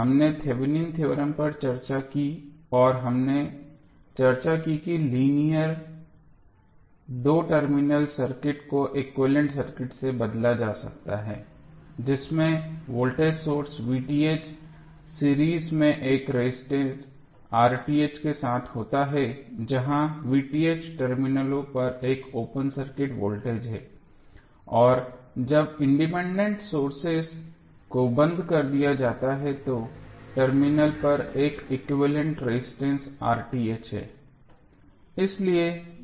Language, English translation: Hindi, We discussed Thevenin's theorem and we discussed that the linear two terminal circuit can be replaced by an equivalent circuit consisting of the voltage source V Th in series with a register R Th where V Th is an open circuit voltage at the terminals and R Th is the equivalent resistance at the terminals when the independent sources are turned off